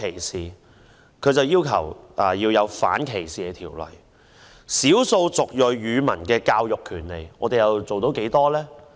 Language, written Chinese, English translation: Cantonese, 少數族裔人士接受本地語文教育的權利，我們又做到多少呢？, How much have we done to ensure the rights of ethnic minorities to receive local language education?